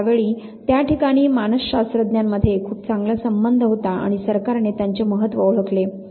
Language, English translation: Marathi, So, there was somewhere a very good tie up between the psychologist at that point in time and government did recognize their importance